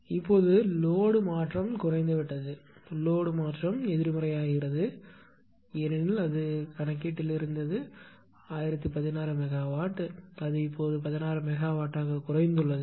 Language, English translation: Tamil, Now, the load change is decreased that is load change is negative because it was in the problem it was 1016 megawatt now it has decreased to 16 megawatt